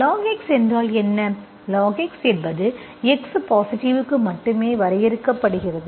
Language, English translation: Tamil, That means it is defined, what is log x, log x is defined only for x positive